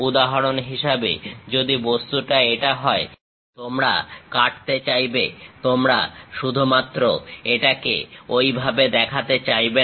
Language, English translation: Bengali, For example, if the object is this; you want to cut, you do not just show it in that way